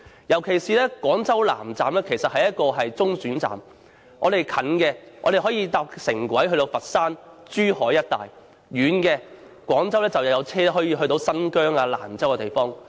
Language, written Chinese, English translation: Cantonese, 尤其是廣州南站是中轉站，近的，可乘坐廣珠城際軌道交通前往佛山和珠海一帶；遠的，廣州有車前往新疆或蘭州。, For less distant destinations you can take Guangzhou - Zhuhai intercity railway to Foshan and Zhuhai areas . For more distant destinations you can take a train of another route to Xinjiang or Lanzhou